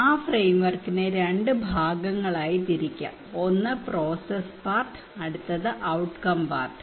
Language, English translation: Malayalam, And that framework can be divided into two part, one is the process part one is the outcome part